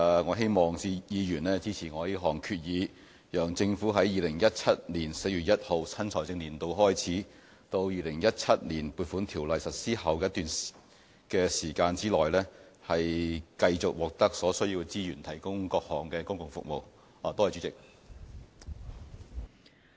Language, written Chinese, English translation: Cantonese, 我希望議員支持這項議案，讓政府在2017年4月1日新財政年度開始至《2017年撥款條例》實施的一段期間，繼續獲得所需資源提供各項公共服務。, I hope Members will support this motion to enable the Government to carry on its public services with the resources needed between the start of the financial year on 1 April 2017 and the time when the Appropriation Ordinance 2017 comes into operation